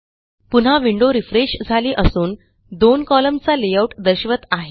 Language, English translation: Marathi, Again the window below has refreshed to show a two column layout